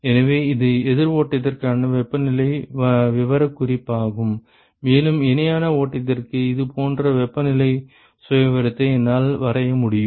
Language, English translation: Tamil, So, that is the temperature profile for counter flow and, I can draw a similar temperature profile for parallel flow